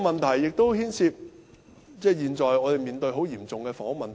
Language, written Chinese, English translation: Cantonese, 這亦牽涉我們現在所面對的嚴重房屋問題。, This also involves the grave housing problem currently faced by us